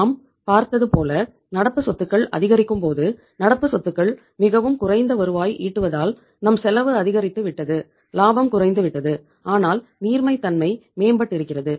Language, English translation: Tamil, You have seen that as the amount of the current asset increases being current asset being least productive our cost has increased, profitability has declined though the liquidity has improved